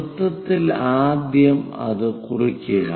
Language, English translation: Malayalam, On the circle first of all note it down